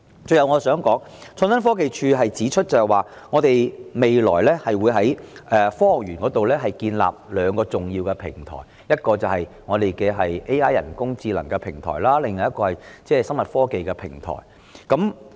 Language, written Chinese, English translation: Cantonese, 最後，我想說，創科局指出未來會在科學園建立兩個重要創新平台，即 AI 及機械人科技創新平台，而另一個是醫療科技創新平台。, The last point I wish to make is that ITB has announced the establishment of two important research clusters in Science Park one for artificial intelligence AI and robotics technologies and the other for health care technologies